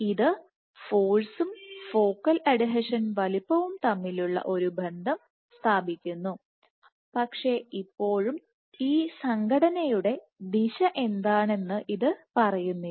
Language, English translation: Malayalam, So, still this establishes an association between force and focal adhesion size, but it does not say how what is the directionality of this association